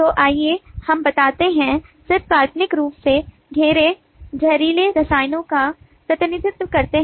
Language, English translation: Hindi, so let us say, just hypothetically, the circles represent toxic chemicals